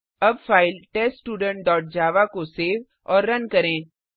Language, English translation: Hindi, Now, save and run the file TestStudent dot java